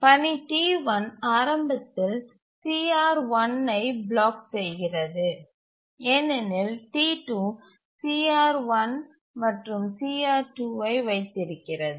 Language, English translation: Tamil, So, task T1 initially blocks for CR1 because T2 is holding CR1 and CR2